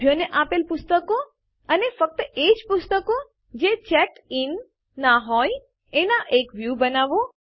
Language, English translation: Gujarati, Create a View of Books Issued to Members and only those books that are not checked in